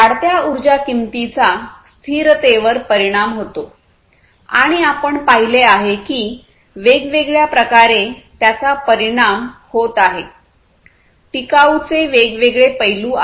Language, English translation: Marathi, So, increasing energy price effects sustainability and we have seen that different ways it is affecting, it is not you know sustainability has different facets